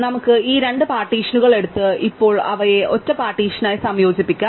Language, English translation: Malayalam, So, may be we take these two partitions and say now combine them into single partition